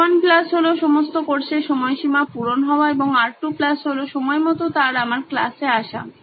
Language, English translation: Bengali, The R1 plus of all the course deadlines satisfied and R2 plus of him coming to my class on time